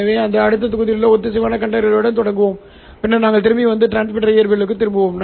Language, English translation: Tamil, So we will start with coherent detection in the next module and then we will come back and jump, we will jump back to transmitter physics